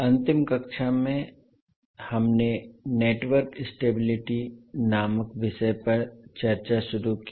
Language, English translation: Hindi, So in the last class, we started the, our discussion on, the topic called Network Stability